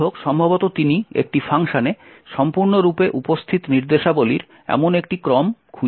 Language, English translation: Bengali, However, quite likely he will not find such a sequence of instructions present completely in one function